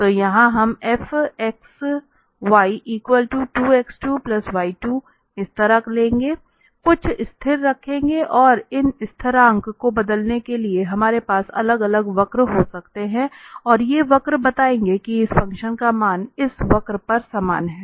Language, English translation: Hindi, So, here we will take like this 2 x square plus y square, putting some constant and for varying these constant we can have different different curves and these curves will tell that the value of this function is same on this curve